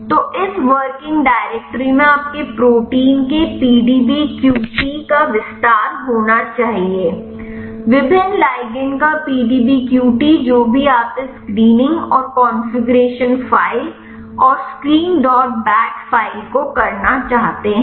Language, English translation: Hindi, So, this working directory should contain the detail of the PDBQT of your protein the PDBQT of various ligand whatever you want to do this screening and the configuration file and the screen dot bat file